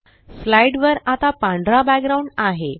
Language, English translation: Marathi, The slide now has a white background